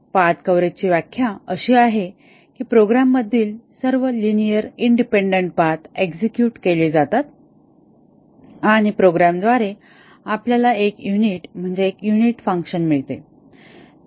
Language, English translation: Marathi, The definition of path coverage is that all linearly independent paths in the program are executed and by program we mean a unit and a unit is a function here